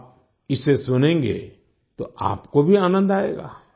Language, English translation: Hindi, Listen to it, you will enjoy it too